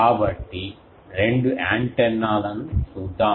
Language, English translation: Telugu, So, let us see the two antennas